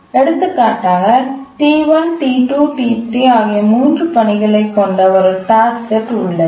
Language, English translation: Tamil, We have a task set consisting of three tasks, T1, T2, T3